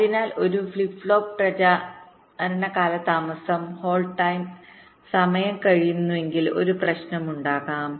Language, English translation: Malayalam, so if a flip flop propagation delay exceeds the hold time, there can be a problem